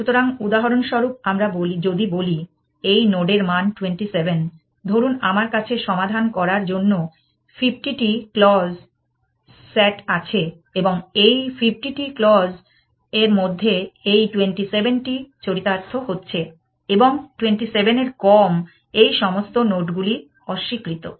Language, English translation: Bengali, So, for example, if let us say value of this node is 27 according to some, let us say I have a 50 clause S A T to solve and this know this satisfying 27 out of those 50 clauses and all these nodes, which are disallowed or less than 27